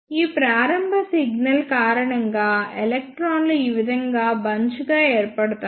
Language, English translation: Telugu, Because of this initial signal bunching of electrons will take place like this